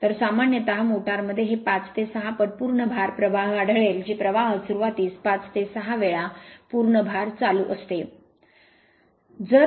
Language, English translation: Marathi, So, generally in a motor you will find this 5 to 6 times the full load current that is the starting current right starting current is 5 to 6 time the full load current